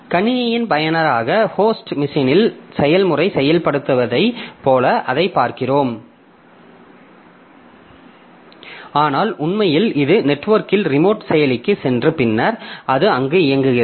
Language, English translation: Tamil, So, as a user of the system we view it as if the procedure has been invoked in the host machine, but in reality it has gone to a distant processor over the network and then it is executing there